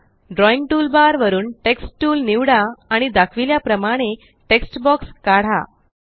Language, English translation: Marathi, From the Drawing toolbar, select the Text tool and draw a text box as shown